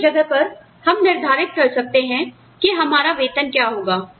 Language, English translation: Hindi, So, we decide at this point, what should the wage be